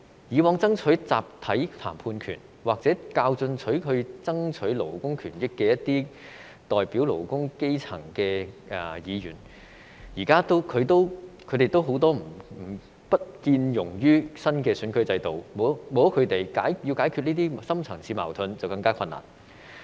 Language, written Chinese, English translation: Cantonese, 以往爭取集體談判權，或較進取地爭取勞工權益的都是一些代表勞工、基層的議員，現在他們也不見可容納於新選舉制度之下，沒有了他們，要解決這些深層次矛盾便更困難。, In the past Members who fought for the introduction of collective bargaining right or fought more aggressively for labour rights were always those who represented the workers or the grass roots . But now it is unlikely that these Members can be accepted under the new electoral system . Without them it would be even more difficult to resolve these deep - seated conflicts